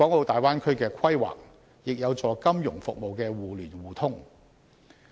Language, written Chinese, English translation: Cantonese, 大灣區的規劃亦有助金融服務的互聯互通。, The Bay Area plan will also promote mutual access of financial services